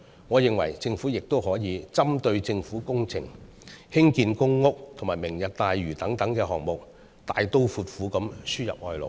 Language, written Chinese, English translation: Cantonese, 我認為，政府亦可針對政府工程、興建公屋和"明日大嶼"等項目，大刀闊斧地輸入外勞。, I think the Government can also import labour in a bold and decisive manner specifically for such projects as government works public housing development and Lantau Tomorrow